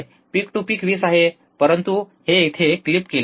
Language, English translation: Marathi, Peak to peak is 20, but this is clipped it is clipped here